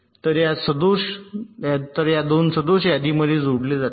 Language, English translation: Marathi, so these two faults will get added to this list